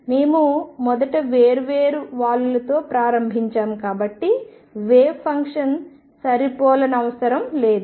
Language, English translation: Telugu, Since we started with different slopes first the wave function did not match